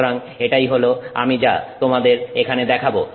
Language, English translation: Bengali, So, this is what we are looking at